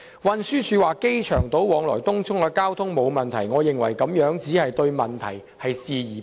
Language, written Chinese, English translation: Cantonese, 運輸署表示往來機場島和東涌的交通沒有問題，我認為該署只是對問題視而不見。, Regarding the remark made by TD that there are no problems with the traffic between the Airport Island and Tung Chung town centre I consider that TD is merely turning a blind eye to the problems